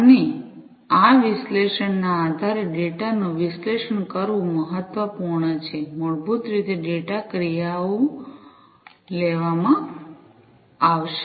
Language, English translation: Gujarati, And also it is important to analyze the data based on this analysis, basically the data, the actions will be taken